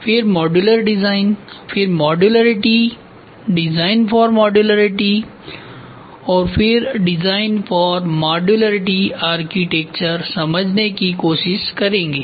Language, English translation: Hindi, Then modular design, then modularity, design for modularity and design for modularity architecture